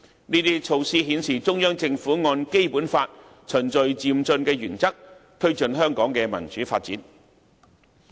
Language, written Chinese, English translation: Cantonese, 這些措施均顯示中央政府按《基本法》循序漸進的原則，推進香港的民主發展。, All these measures demonstrated that the Central Government promoted Hong Kongs democratic development in accordance with the principle of gradual and orderly progress stipulated in the Basic Law